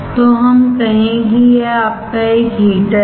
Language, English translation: Hindi, So, let us say that this one is your heater